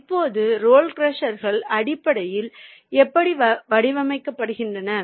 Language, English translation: Tamil, that is the how the role crushers are basically being designed